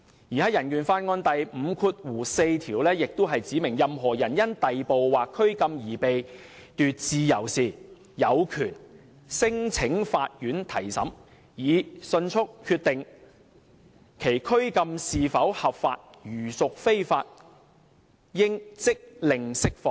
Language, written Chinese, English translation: Cantonese, 香港人權法案第五四條也指明："任何人因逮捕或拘禁而被奪自由時，有權聲請法院提審，以迅速決定其拘禁是否合法，如屬非法，應即令釋放。, Article 54 of the Hong Kong Bill of Rights also specifies that Anyone who is deprived of his liberty by arrest or detention shall be entitled to take proceedings before a court in order that that court may decide without delay on the lawfulness of his detention and order his release if the detention is not lawful